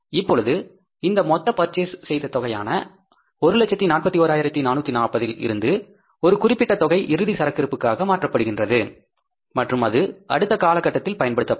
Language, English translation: Tamil, Now, out of this total amount purchased for 1,040,440, some amount is shifted to the closing stock and that will be used in the next period